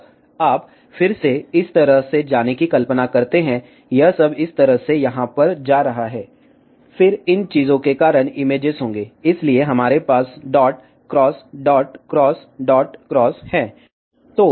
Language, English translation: Hindi, Now, you again imagine this going all the way like this, this one going all the way like this over here, then because of these thing, there will be images, so we have dot, cross, dot, cross, dot, cross